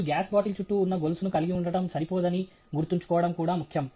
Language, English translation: Telugu, It is also important to remember that is not sufficient that you simply have a chain that is around the gas bottle